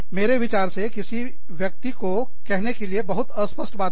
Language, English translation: Hindi, I think, that is such a vague thing, to say to a person